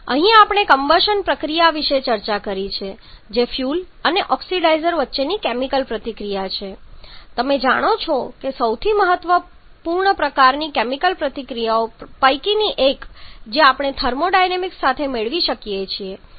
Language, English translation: Gujarati, So, this takes us to the end of the day here we have discussed about the combustion process which is a chemical reaction between fuel and oxidizer you know one of the most important kind of chemical reaction that we can get in conjunction with thermodynamics